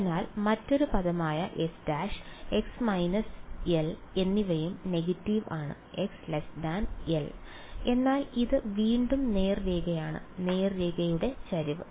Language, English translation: Malayalam, So, the other term x prime and x minus l also negative x is less than l, but it is straight line again and the slope of the straight line is